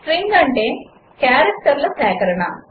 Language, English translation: Telugu, String is a collection of characters